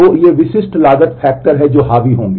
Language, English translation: Hindi, So, these are the typical cost factors that will dominate